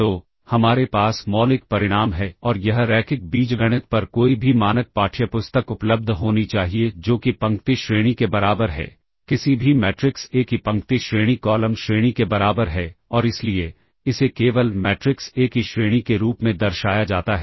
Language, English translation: Hindi, So, we have the fundamental result and this should be available any standard textbook on linear algebra that is the row rank equals, the row rank of any matrix A equals column rank and this is therefore, simply denoted as the rank of matrix A